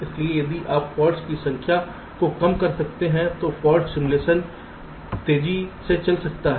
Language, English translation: Hindi, so if you can reduce the number of faults, fault simulation can run faster